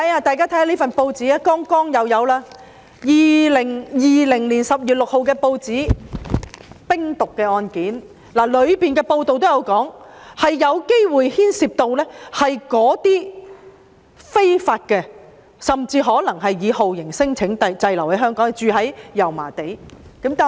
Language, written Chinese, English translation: Cantonese, 大家看看這份2020年10月6日的報章，香港又破獲冰毒案件，報道指案件有可能牽涉那些非法入境甚或是以酷刑聲請為由滯留香港、居住在油麻地的人士。, Why? . If we look at this news article dated 6 October 2020 yet another case of crystal methamphetamine trafficking was uncovered in Hong Kong . The news article further says that the case may involve illegal immigrants or torture claimants stranded in Hong Kong and living in Yau Ma Tei